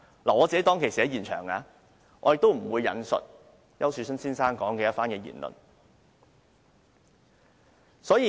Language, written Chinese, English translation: Cantonese, 我當天在現場，但我不會引述丘樹春先生的言論。, I paid the visit that day but I will not quote the comments of Mr Ricky YAU